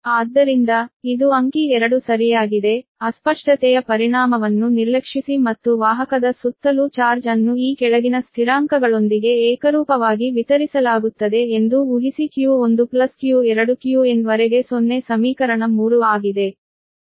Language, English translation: Kannada, suppose that neglecting the, neglecting the distortion effect and assuming that charge is uniformly distributed around the conductor, with the following constants: that q one to q two up to q n is zero, that is equation three